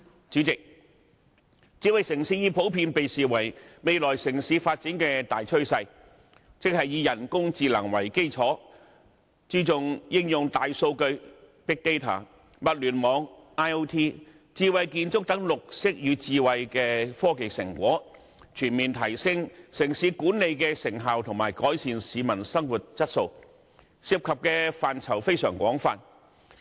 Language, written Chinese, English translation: Cantonese, 主席，智慧城市已普遍被視為未來城市發展的大趨勢，即以人工智能為基礎，注重應用大數據、物聯網、智慧建築等綠色與智慧的科技成果，全面提升城市管理的成效及改善市民生活質素，涉及的範疇非常廣泛。, President building a smart city is generally regarded as the major trend in future city development that is focusing on the application of such achievements of green and smart technologies as big data Internet of Things IoT and intelligent architecture on the basis of artificial intelligence to enhance the overall effectiveness of city management and improve peoples quality of living which covers a wide spectrum of areas